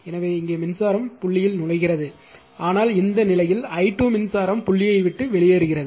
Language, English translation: Tamil, So, here current is entering dot, but in this case the i 2 current is current actually leaving the dot right